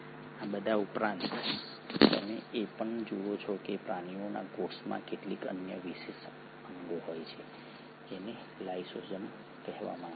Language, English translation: Gujarati, In addition to all this you also find that animal cells have some other special organelles which are called as the lysosomes